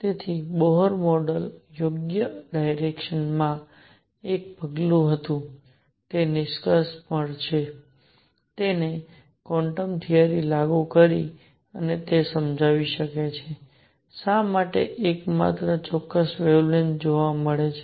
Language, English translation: Gujarati, So, to conclude Bohr model was a step in the right direction, it applied quantum theory and it could explain why the only certain wavelengths are observed